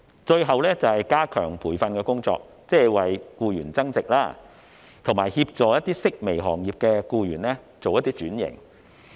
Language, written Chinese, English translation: Cantonese, 最後，便是加強培訓的工作，即是為僱員增值，以及協助一些式微行業的僱員轉型。, My last point is related to strengthening the training or self - enhancement of employees and assisting employees from declining sectors with occupation switching